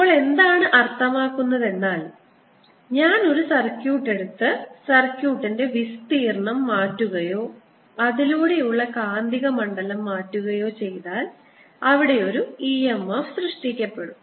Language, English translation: Malayalam, now what is means is that if i take a circuit and let the area of the circuit change or the magnetic field through it change, then there'll be an e m f generated